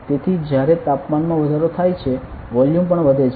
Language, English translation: Gujarati, So, when the temperature increases volume also increases